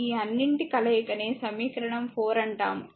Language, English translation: Telugu, All this thing combination is equation say 4, right